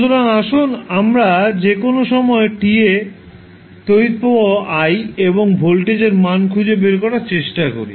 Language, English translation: Bengali, So, now let us try to find out the value of current i at any time t and value of voltage at any time t